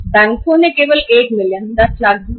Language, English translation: Hindi, Banks has given only 1 million, 10 lakhs